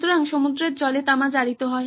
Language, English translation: Bengali, So copper in seawater becomes corroded